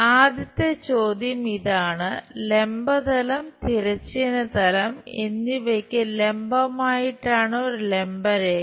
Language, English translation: Malayalam, The first question is; a vertical line perpendicular to both vertical plane and horizontal plane